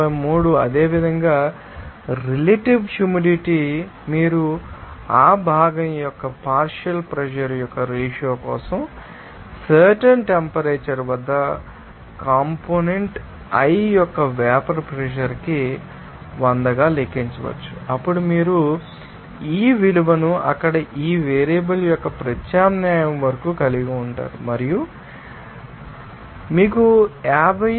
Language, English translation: Telugu, 53 there similarly, relative humidity you can calculate for the ratio of partial pressure of that component i to the vapor pressure of component i at the particular temperature into 100 that then you can have this value up to the substitution of this you know variables there and it will give you the value of 50